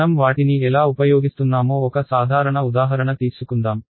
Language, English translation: Telugu, Let us take a simple example of how we use them